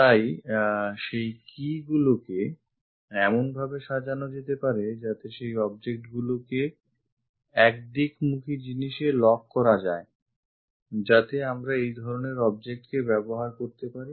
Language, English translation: Bengali, So, that keys can be arranged in that to lock the objects in one directional thing, we use this kind of objects